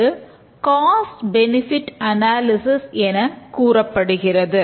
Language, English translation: Tamil, It is also called as the cost benefit analysis